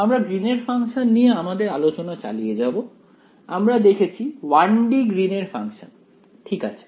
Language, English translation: Bengali, We will continue our discussion about Green’s function; we have looked at 1 D Green’s functions ok